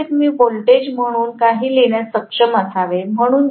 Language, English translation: Marathi, So overall, I should be able to write the voltage as E equal to 4